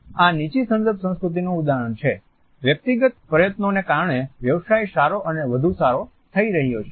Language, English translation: Gujarati, Here is an example of a low context culture, because of a personal effort business is doing better and better